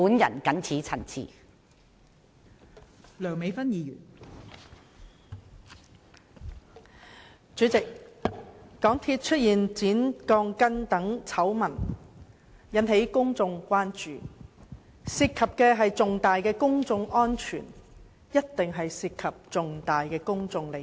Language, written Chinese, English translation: Cantonese, 代理主席，香港鐵路有限公司工程出現剪鋼筋醜聞，引起公眾關注，由於事件關乎公眾安全，一定涉及重大的公眾利益。, Deputy President the scandal concerning the cutting of steel bars in the works of the MTR Corporation Limited MTRCL has aroused great public concern as public safety is involved . This is certainly a matter of serious public interest